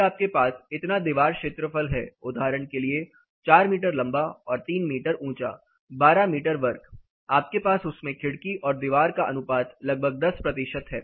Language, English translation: Hindi, Then you have this much amount of wall area, say for example a 4 meter long 3 meter high 12 meter square of wall area, probably you have a about 10 percent window wall ratio in that